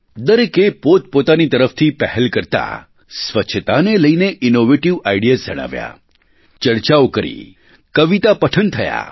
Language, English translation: Gujarati, Many individuals taking initiative on their own behalf shared innovative ideas, held discussions, conducted poetry recitals